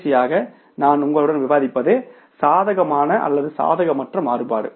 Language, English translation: Tamil, And lastly I would discuss with you is that favorable or unfavorable variances